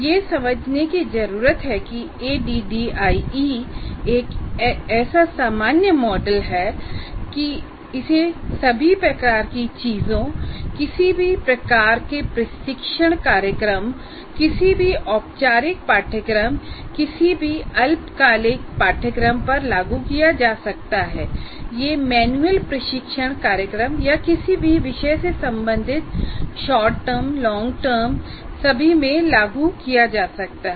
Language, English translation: Hindi, So what needs to be understood is the ADD is such a generic model, it is applied to all types of things, any type of training program, any formal course, any short term course, it could be manual training program or on any subject, short term, long term, anything it can be applied